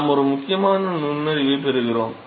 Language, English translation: Tamil, So, we get an important insight